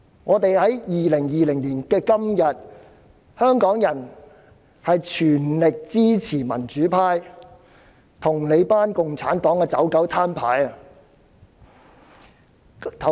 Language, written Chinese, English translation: Cantonese, 在2020年的今天，香港人全力支持民主派與你們這群共產黨的"走狗""攤牌"。, On this very day in 2020 Hong Kong people fully support the democratic camp in showing its hand with you lackeys of the Communist Party